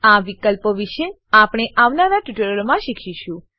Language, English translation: Gujarati, We will learn about these options in subsequent tutorials